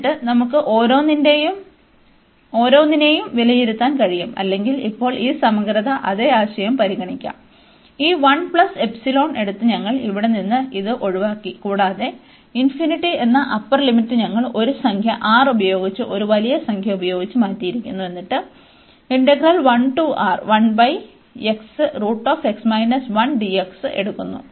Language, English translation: Malayalam, And then we can evaluate each one or we can consider now this integral the same idea, that we have avoided here this one by taking this 1 plus epsilon, and the upper limit which was infinity, we have replaced by a number R a large number R, and taking this 1 over x and this x minus 1 dx